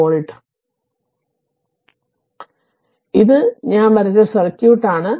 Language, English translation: Malayalam, So so this is the circuit I have drawn